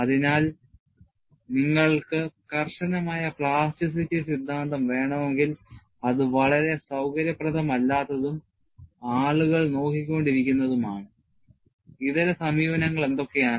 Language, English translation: Malayalam, So, if you want to have a rigorous plasticity theory, which was not quite convenient, and people were looking at, what are the alternate approaches